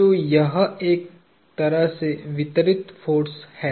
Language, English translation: Hindi, So, this is kind of a distributed force